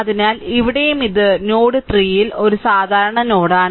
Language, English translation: Malayalam, So, this is actually this is node 3 right